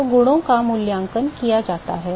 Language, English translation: Hindi, So, the properties are evaluated